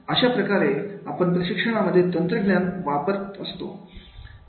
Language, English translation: Marathi, That is the how we are using the technology in training